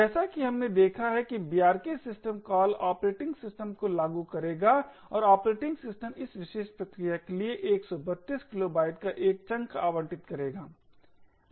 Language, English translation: Hindi, As we have seen the brk system call would invoke the operating system and the operating system would allocate a chunk of 132 kilobytes for this particular process